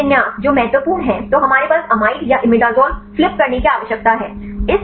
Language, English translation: Hindi, So, this orientation that is important then we have the we need to flip the amide or imidazole